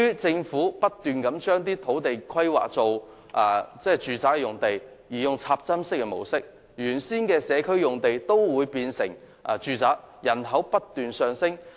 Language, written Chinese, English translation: Cantonese, 政府不斷將土地規劃為住宅用地，並採用"插針式"的方法建屋，原先的社區用地皆變成住宅，以致人口不斷增加。, The Government has continuously rezoned land for residential purpose and built infill buildings thereby turning the original community sites into residential sites and leading to an increased population